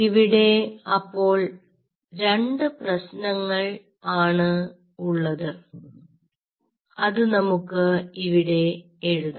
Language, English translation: Malayalam, so there are two problems here and lets write down the problems